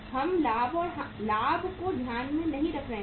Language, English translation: Hindi, We are not taking into account the profit right